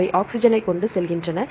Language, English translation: Tamil, They transport oxygen